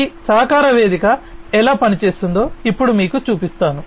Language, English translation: Telugu, So, let me now show you how this collaboration platform is going to work